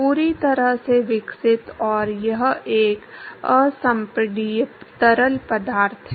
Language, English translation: Hindi, Fully developed, and it is an incompressible fluid